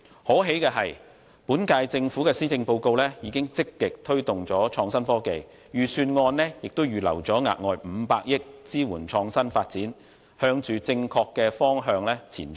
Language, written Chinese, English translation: Cantonese, 可喜的是，本屆政府的施政報告已經積極推動創新科技，預算案亦預留額外500億元支援創新發展，向正確的方向前進。, It is therefore heartening to see that the current - term Government has stated in the Policy Address to proactively promote innovation and technology and the Budget has set aside an additional 50 billion to support innovative development . It is heading towards the right direction